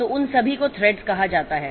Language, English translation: Hindi, So, all of them are called threads